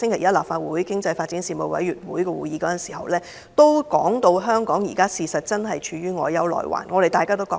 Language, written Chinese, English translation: Cantonese, 在立法會經濟發展事務委員會星期一的會議上，邱騰華局長表示香港現正陷於內憂外患，我們亦有同感。, On Monday Secretary Edward YAU said at the meeting of the Panel on Economic Development of the Legislative Council that Hong Kong was beleaguered by internal and external problems . We concurred with him on this point